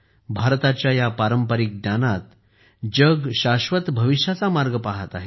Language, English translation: Marathi, In this traditional knowledge of India, the world is looking at ways of a sustainable future